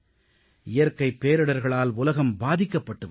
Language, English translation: Tamil, The world is facing natural calamities